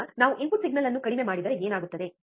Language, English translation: Kannada, Now, if what happens if we decrease the input signal